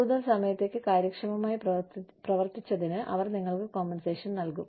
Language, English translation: Malayalam, They will compensate you, for working efficiently, for longer periods of time